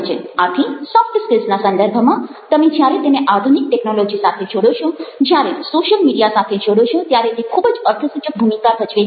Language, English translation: Gujarati, so, in the context of soft skills, this would, when you link it with modern technology, if when you link it up with social media, will play very significant role